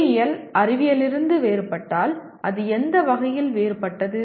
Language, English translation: Tamil, If engineering is different from science in what way it is different